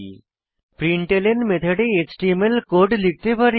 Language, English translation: Bengali, In the println method we can pass html code